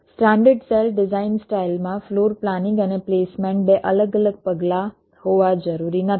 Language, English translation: Gujarati, in a standard cell design style, floor planning and placement need not be two separate steps